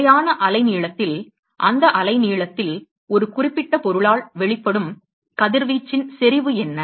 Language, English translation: Tamil, At a fixed wave length, what is the intensity of the radiation emitted by a certain object in that wave length